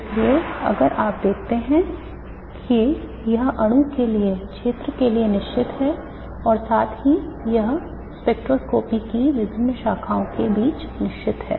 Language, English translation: Hindi, Therefore you see that it is unique to the region for the molecule as well as it is unique between the different branches of spectroscopy